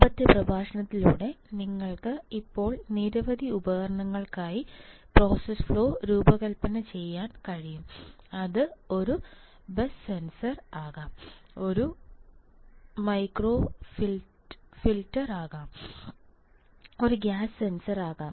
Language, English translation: Malayalam, And also with the earlier lecture now you are at least able to design the process flow for several devices right, it can be a bus sensor, it can be a gas sensor right same way it can be a micro heater right